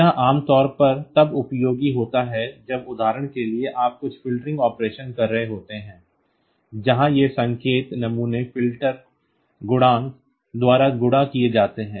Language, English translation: Hindi, This is typically useful when you are say for example, doing some filtering operation where these signal samples are multiplied by filter coefficients